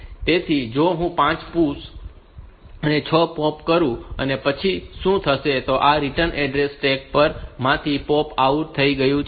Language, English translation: Gujarati, So, if I do 5 pushes and 6 pops, and then what will happen is that this return address has also been popped out from the stack